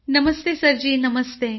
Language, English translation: Marathi, Namaste Sir Ji, Namaste